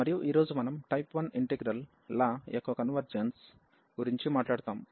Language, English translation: Telugu, And today we will be talking about the convergence of type 1 integrals